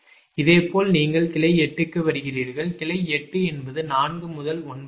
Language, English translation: Tamil, similarly, this branch eight, it is emerging from node four, so four to nine